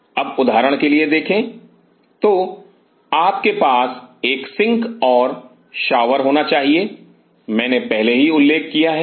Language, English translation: Hindi, Now see for example So, you have to sink a shower I have already mention